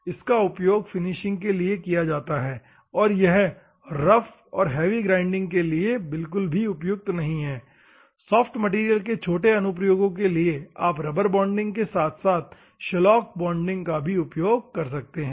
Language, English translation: Hindi, It is also used for the finishing and not suitable for rough and heavy grinding it is just to go for the soft material for small, applications you can go for rubber bonding as well as shellac bonding